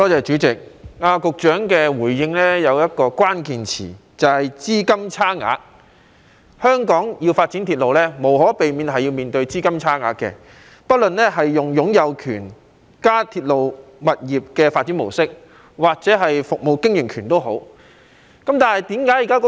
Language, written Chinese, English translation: Cantonese, 主席，局長的回應中有一個關鍵詞，就是"資金差額"。香港要發展鐵路無可避免會面對"資金差額"，不論是採用擁有權及"鐵路加物業發展"模式或服務經營權。, President there is a key term in the Secretarys reply and that is funding gap which means that railway development in Hong Kong will inevitably face funding gap regardless of whether the ownership and RP or concession approach is adopted